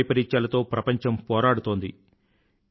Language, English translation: Telugu, The world is facing natural calamities